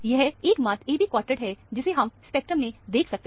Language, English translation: Hindi, This is the only AB quartet that you can see in this spectrum